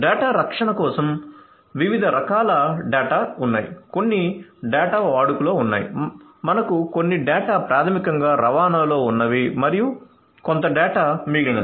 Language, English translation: Telugu, So, for data protection there are different types of data, some data are in use this is one kind of data then we have some data which are basically in transit and some data which are in rest